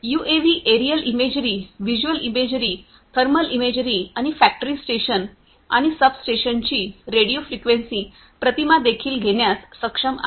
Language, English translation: Marathi, UAVs are also capable of taking aerial imagery, visual imagery, thermal imagery, and also radio frequency imagery of factory stations and substations